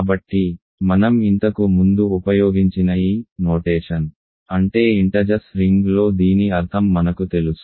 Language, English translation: Telugu, So, this notation I have used before this simply means that this means in the ring of integers we know what this means